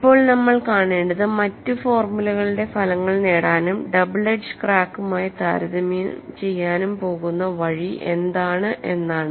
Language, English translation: Malayalam, Now what we have to do is to get the results for other formula and compare it with the double edge crack